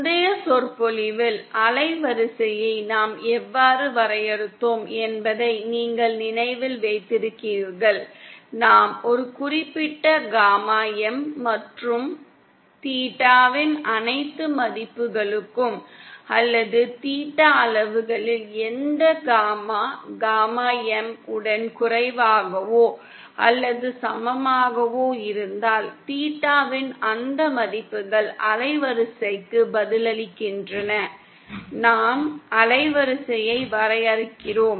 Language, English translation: Tamil, You recall how we define the band width in the previous lecture, we said that if we take a certain gamma M and for all values of theta or which gamma in theta magnitude is lesser or equal to gamma M then those values of theta respond to the band width, that is how we define the band width